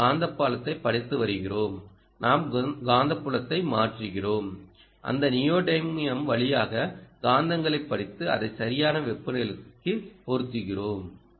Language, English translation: Tamil, we are putting neodymium magnets, we are reading the magnetic field and we are converting magnetic field that we read through those neodymium a magnets and mapping it into temperature